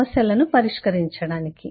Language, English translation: Telugu, to solve problems